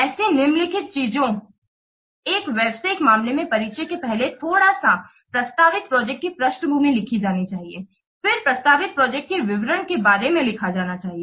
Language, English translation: Hindi, So, the following contents are there in a business case about first little bit of introduction or background of the project proposed projects should be written